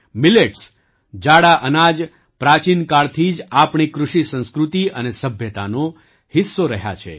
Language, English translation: Gujarati, Millets, coarse grains, have been a part of our Agriculture, Culture and Civilization since ancient times